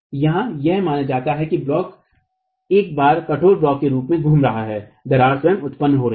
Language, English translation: Hindi, Assumption here is that the block is moving as a rigid block once the crack is formed itself